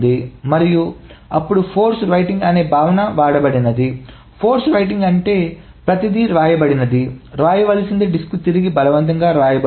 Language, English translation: Telugu, Force writing meaning everything that is written that needs to be written is forcefully written back to the disk